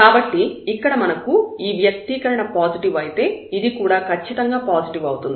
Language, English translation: Telugu, So, if we have this expression here this is positive, so this one is strictly positive